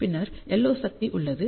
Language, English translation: Tamil, Then, we have the LO power